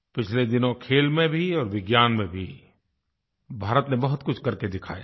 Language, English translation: Hindi, Recently, India has had many achievements in sports, as well as science